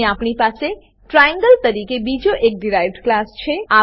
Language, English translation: Gujarati, Here we have another derived class as triangle